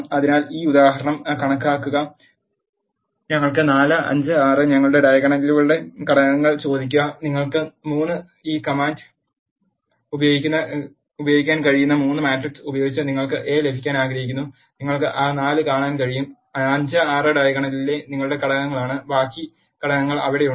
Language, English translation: Malayalam, So, see this example we want 4 5 6 ask the elements of our diagonals and you want to have a 3 by 3 matrix you can use this command and you can see that 4 5 and 6 are your elements in the diagonal and the rest of the elements are there